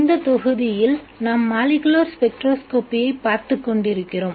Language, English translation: Tamil, In this module we have been looking at molecular spectroscopy